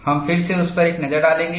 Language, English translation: Hindi, We will again have a look at that